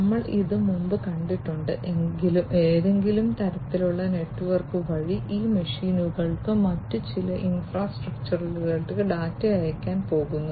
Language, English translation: Malayalam, We have seen this before, through some kind of a network, through some kind of a network, these machines are going to send the data to some other infrastructure